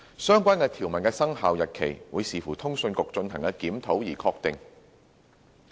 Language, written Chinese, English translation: Cantonese, 相關條文的生效日期，會視乎通訊局進行的檢討而確定。, The effective date of the relevant provision will be subject to the review to be conducted by CA